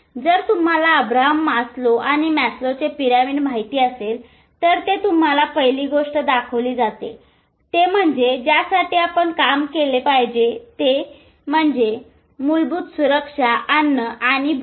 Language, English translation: Marathi, If you know Abraham Maslow and Maslow's pyramid, it shows the basic first thing which you have to do is basic security, food and anger